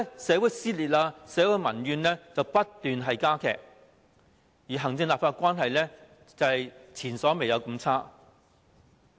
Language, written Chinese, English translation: Cantonese, 社會撕裂，社會的民怨不斷加劇，而行政立法關係前所未有地惡劣。, Society has been torn apart . Social grievances keep intensifying . The relationship between the executive and the legislature is worse than ever